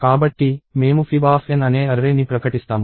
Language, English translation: Telugu, So, we declare an array called fib of N